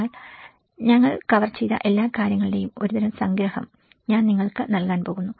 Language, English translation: Malayalam, But I am going to give you a kind of summary what all we have covered